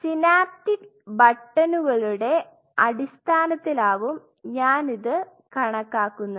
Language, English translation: Malayalam, So, I am quantifying this in terms of synaptic buttons